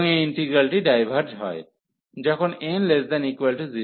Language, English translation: Bengali, And this integral diverges, when n is less than equal to 0